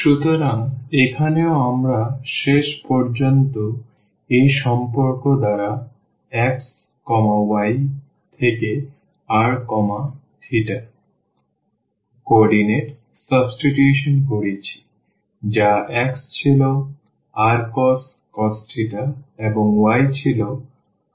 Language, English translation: Bengali, So, here also we have done eventually the substitution from xy to the r theta coordinates by this relation that x was r cos theta and y was sin theta